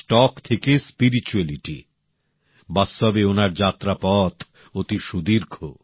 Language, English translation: Bengali, From stocks to spirituality, it has truly been a long journey for him